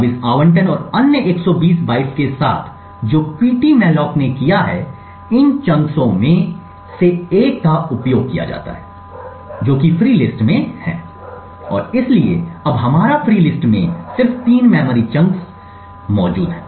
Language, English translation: Hindi, Now with this allocation and other 120 bytes what ptmalloc has done is used one of these chunks which are in the free list and therefore our free list now just comes down to having just three memory chunks present